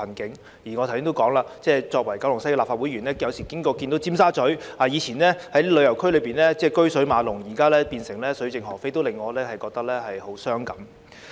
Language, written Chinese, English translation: Cantonese, 正如我剛才提到，我是九龍西的立法會議員，我有時路經尖沙咀，看到過往車水馬龍的這個旅遊區現變得水盡鵝飛，令我萬分傷感。, As I said just now I am a Member of the Legislative Council representing Kowloon West . Sometimes when I passed by Tsim Sha Tsui I felt overwhelmingly sad on seeing that this tourist area which used to be hustling and bustling has become quiet and deserted